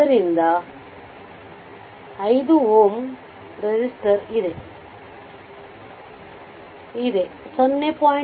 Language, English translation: Kannada, So, 5 ohm resistor is there, 0